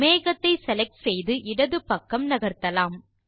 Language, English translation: Tamil, Let us select the cloud and move it to the left